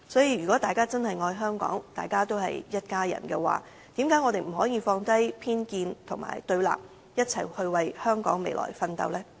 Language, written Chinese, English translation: Cantonese, 如果大家真的愛香港，都是一家人，為何不可以放低偏見和對立，一起為香港的未來奮鬥？, If we really love Hong Kong we should treat members of the public as family members why cant we put aside prejudice and antangoism and strive together for the future of Hong Kong?